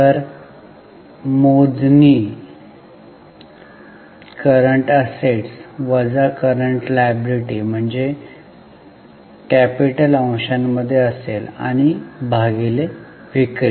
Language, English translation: Marathi, So, compute CA minus CL which will be working capital for the numerator and divided by sales